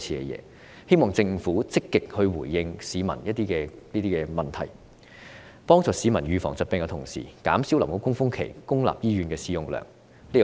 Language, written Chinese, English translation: Cantonese, 我希望政府能積極回應市民這些疑問，在協助市民預防疾病之餘，同時減少流感高峰期公立醫院的使用量。, I hope that the Government will actively respond to such public doubts thus enhancing disease prevention in the community and reducing the use of public hospitals during the peak season